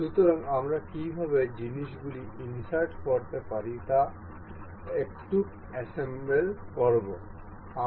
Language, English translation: Bengali, So, let us assemble a little how to insert things we will check these some examples